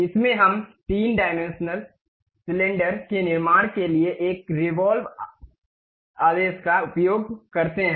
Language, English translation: Hindi, In this, we use a revolve command to construct three dimensional cylinder